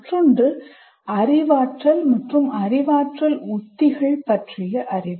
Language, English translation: Tamil, And the other one is knowledge about cognition and cognitive strategies